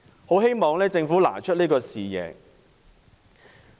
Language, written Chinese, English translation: Cantonese, 很希望政府能拿出這種視野。, I hope the Government will set its vision in this regard